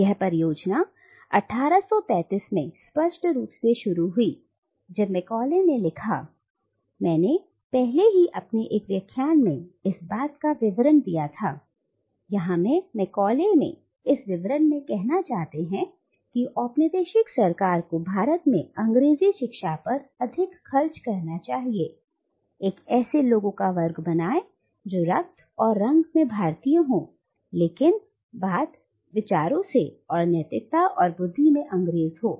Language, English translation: Hindi, And this project is most clearly stated in the 1835 Minutes that Macauley wrote, I have already referred to this Minutes in one of my earlier lectures, and here Macauley states in this minutes that the colonial government should spend more on English education in India so as to “create a class of persons, Indian in blood and colour, but English in taste, in opinions, in morals, and in intellect